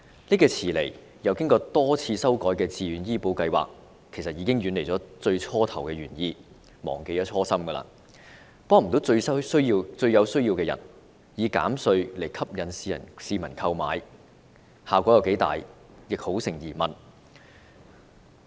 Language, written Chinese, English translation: Cantonese, 這個遲來並一改再改的自願醫保計劃，其實已經遠離最初的原意、忘記初心，無法幫助最有需要的人，而以扣稅吸引市民投保的成效亦相當成疑。, This belated VHIS with various amendments made has however deviated from its original intention to help people most in need . As such the effectiveness of tax deduction in attracting people to take out insurance is doubtful